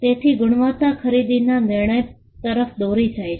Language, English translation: Gujarati, So, quality leads to a purchasing decision